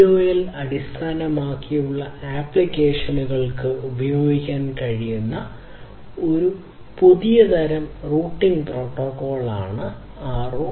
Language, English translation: Malayalam, So, ROLL is a new kind of routing protocol that can be used that can be used for IoT based applications